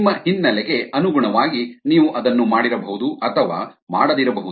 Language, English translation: Kannada, that doesn't matter, depending on your background, you may or may not have done it